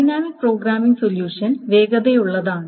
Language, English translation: Malayalam, The dynamic programming solution does the following thing